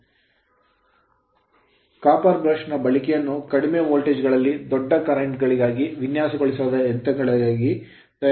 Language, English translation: Kannada, So, the use of copper brush is made up for machines designed for large currents at low voltages right